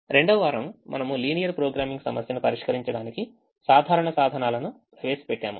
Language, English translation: Telugu, the second week we introduced simple tools to solve the linear programming problem